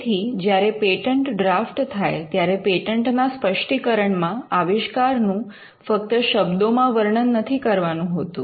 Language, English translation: Gujarati, So, in a patent specification, when you draft a patent, you will not merely describe the invention in words